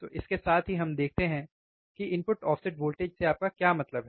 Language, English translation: Hindi, So, with that let us see what you mean by input offset voltage